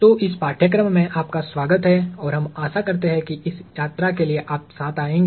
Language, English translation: Hindi, So, welcome to this course and we hope you all come along for the ride